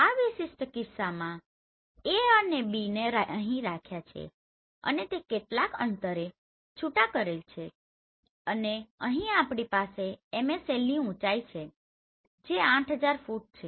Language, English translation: Gujarati, In this particular case I have kept this A and B here and they are separated with some distance and here we have flying height above MSL that is 8,000 feet